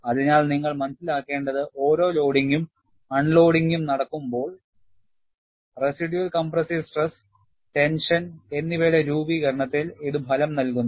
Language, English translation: Malayalam, So, what you will have to realize is, when there is a loading and unloading, this results in formation of residual compressive stress and tension